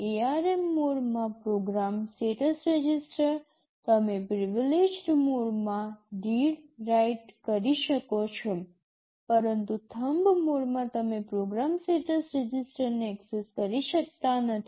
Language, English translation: Gujarati, Program status register in ARM mode, you can do read write in privileged mode, but in Thumb mode you cannot access program status register